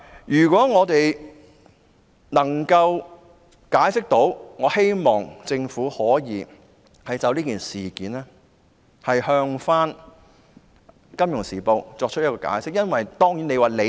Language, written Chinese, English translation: Cantonese, 如果可以，我希望政府可就此事件向《金融時報》作出解釋。, If possible I hope that the Government can offer an explanation to the Financial Times over this incident